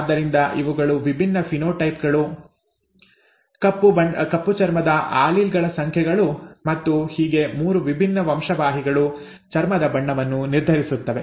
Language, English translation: Kannada, So these are the various phenotypes, the number of dark skin alleles and so on and so forth where 3 different genes determine the skin colour